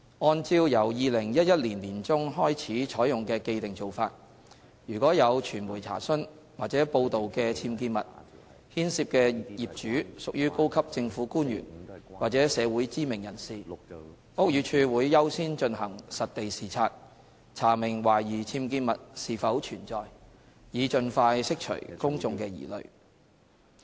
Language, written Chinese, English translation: Cantonese, 按照由2011年年中開始採用的既定做法，如果有傳媒查詢或報道的僭建物牽涉的業主屬高級政府官員或社會知名人士，屋宇署會優先進行實地視察，查明懷疑僭建物是否存在，以盡快釋除公眾的疑慮。, In accordance with the established practice adopted since mid - 2011 if the owners involved in UBWs cases under media inquiry or report are senior government officials or community celebrities BD will accord priority in carrying out site inspection with a view to investigating if UBWs in fact exist so as to clear any public concerns as soon as practicable